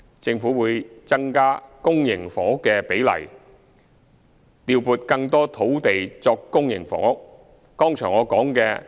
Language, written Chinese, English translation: Cantonese, 政府會增加公營房屋的比例，調撥更多土地作公營房屋。, The Government will increase the ratio of public housing and allocate more land for public housing